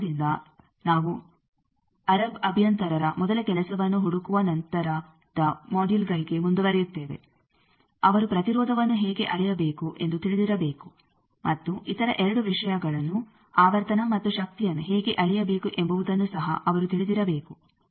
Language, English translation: Kannada, With this knowledge we will proceed to the later modules for finding the first job of an Arab engineer that he should know how to measure impedance also he should know how to measure 2 other things frequency and power